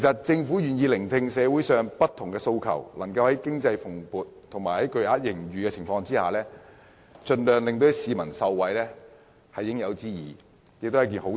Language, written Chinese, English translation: Cantonese, 政府願意聆聽社會上不同訴求，在經濟蓬勃和錄得巨額盈餘的情況下，盡量讓市民受惠，是應有之義，也是好事。, It is right that the Government is prepared to listen to different aspirations of people in society and strive to benefit the citizens when the economy is robust and huge surpluses are recorded . It is also a good thing for the Government to do so